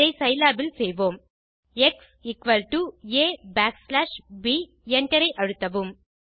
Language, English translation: Tamil, Lets do this in Scilab x is equal to A backslash b and press enter